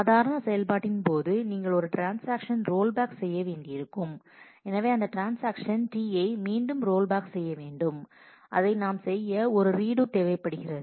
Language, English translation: Tamil, When you have to do a transaction rollback during normal operation; so, for that transaction T i to be rolled back, what we will need to do it is a rollback